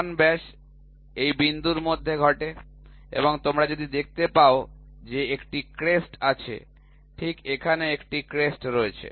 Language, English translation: Bengali, So, major diameter happen between this point and see if you see that there is a crest, right here is a crest